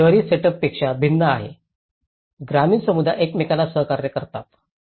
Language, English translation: Marathi, It’s unlike an urban setup the rural community cooperate with each other